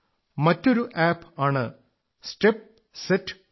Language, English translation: Malayalam, There is another app called, Step Set Go